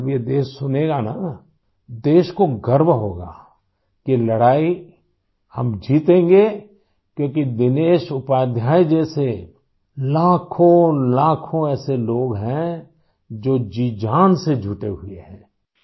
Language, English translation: Urdu, When the country listens to this, she will feel proud that we shall win the battle, since lakhs of people like Dinesh Upadhyaya ji are persevering, leaving no stone unturned